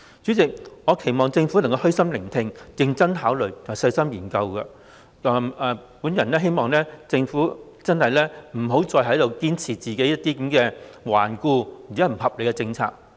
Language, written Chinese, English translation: Cantonese, 主席，我期望政府虛心聆聽，認真考慮，以及細心研究，我希望政府不要再堅持頑固和不合理的政策。, President I hope that the Government will listen to our views humbly then consider seriously and study carefully . I hope that the Government will stop insisting that the current rigid and unreasonable policies be continued